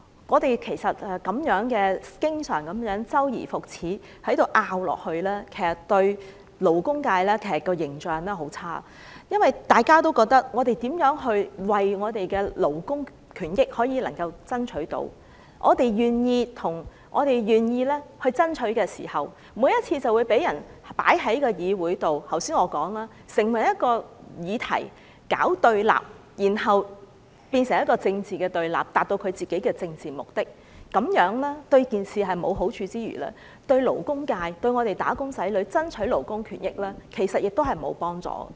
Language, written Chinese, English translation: Cantonese, 我們經常這樣周而復始地爭辯，其實給勞工界很差的印象，因為大家都覺得無論我們如何爭取勞工權益，我們願意爭取時，每次總會被人放在議會中成為一個議題，搞對立，然後變成政治對立，達到其政治目的，這樣對事情沒有好處之餘，對於為勞工界和"打工仔女"爭取勞工權益，其實亦沒有幫助。, When our debate always goes on like this again and again it actually gives the labour sector a very poor impression . People may think that no matter how hard we fight for labour rights and interests and how keen we are in the fight someone will always make the matter concerned an issue for confrontation in the Council turning the debate into political confrontation for their own political purposes . This is neither helpful to the matter nor conducive to the fight for the rights and interests of the labour sector and wage earners